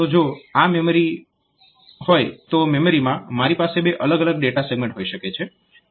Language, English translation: Gujarati, So, if this is a memory, if this is the memory, so in the memory I may have two different data segments